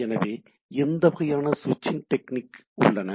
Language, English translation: Tamil, So, what sort of switching techniques are there